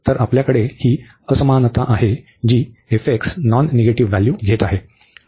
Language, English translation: Marathi, So, we have this inequality that f x is taking in non negative values